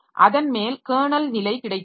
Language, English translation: Tamil, Then on top of that we have got the kernel level